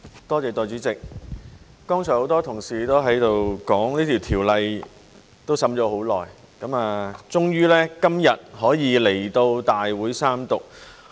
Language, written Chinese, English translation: Cantonese, 代理主席，剛才很多同事都說這法案已審議多時，終於今日可以來到大會三讀。, Deputy President many colleagues said earlier that this Bill after a lengthy process of deliberation is eventually tabled to this Council for Third reading today